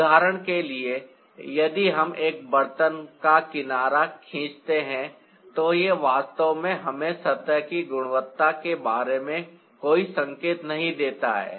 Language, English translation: Hindi, for example, if we draw one side of a pot, it doesn't really give us any indication of the quality of the surface